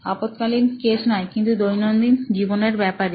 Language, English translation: Bengali, ’ not an emergency case but a day to day life sort of case